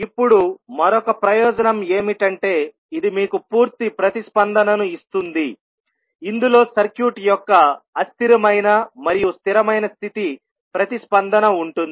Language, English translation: Telugu, Now, another advantage is that this will give you a complete response which will include transient and steady state response of the circuit